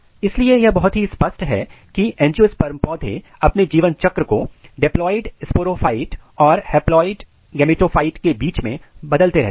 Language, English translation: Hindi, So, life cycle of angiosperm plants, so it is evident that angiosperm plants alternates their life cycle between diploid sporophyte and haploid gametophyte